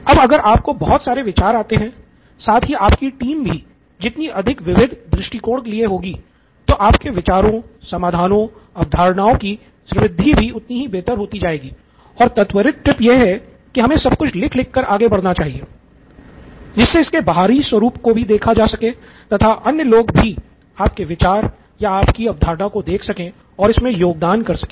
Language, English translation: Hindi, You come up with a lot of ideas, the more diverse your team is the better the richness of your ideas, the solution, concepts and quick tip is to write it all down, so its externalised so that other people can see and contribute to your idea or concept